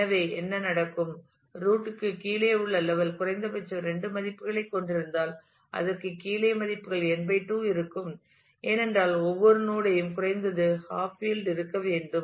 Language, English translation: Tamil, So, what will happen; if the level below root has two values at the most at least and the below that will have n/2 values, because every node has to be at least half field